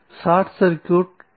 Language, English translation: Tamil, The short circuit current